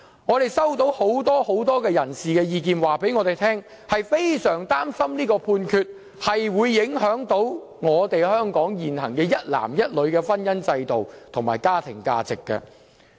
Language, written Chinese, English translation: Cantonese, 我們收到很多人士的意見，表示他們非常擔心這項判決會影響香港現行一男一女的婚姻制度及家庭價值。, We have received views from many people that they worry anxiously about the impact of the Judgment on the institution of marriage of one man with one woman and the family values in Hong Kong